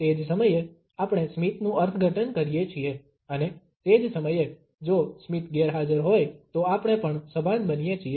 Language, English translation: Gujarati, At the same time, we interpret the smiles, and at the same time we also become conscious if the smiles are absent